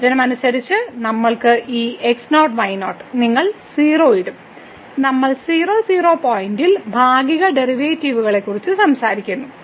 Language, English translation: Malayalam, As per the definition, we have because this naught naught; you will put 0, we are talking about the partial derivatives at point